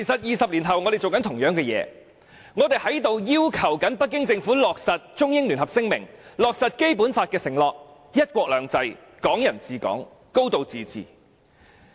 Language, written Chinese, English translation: Cantonese, 二十年後，我們正在做相同的事情，我們要求北京政府落實《中英聯合聲明》，落實《基本法》的承諾，包括"一國兩制"、"港人治港"、"高度自治"。, We are doing the same thing 20 years later . We ask the Beijing Government to put into effect the Sino - British Joint Declaration and the commitments of the Basic Law including one country two systems Hong Kong people ruling Hong Kong and a high degree of autonomy